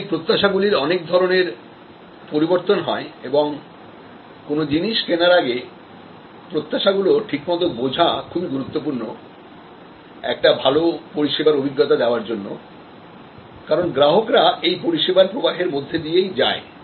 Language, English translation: Bengali, So, there are many different variations in expectation and understanding this pre encounter expectation is crucial for creating a good service experience, as the customer flows through the service